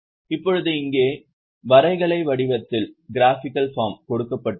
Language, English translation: Tamil, Now here in the graphical form